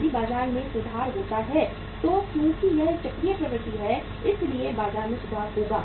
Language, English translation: Hindi, If the market improves then because it is a cyclical trend so market will improve